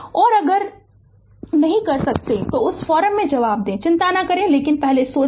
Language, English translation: Hindi, And otherwise if you cannot do it answer in that forum right do not worry, but first you think